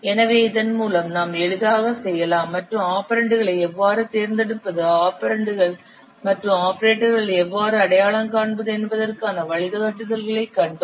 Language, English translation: Tamil, So with this we can easily and we have seen the guidelines how to select the operands, how to identify the operands and operators